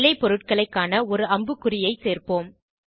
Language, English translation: Tamil, To show the products, let us add an arrow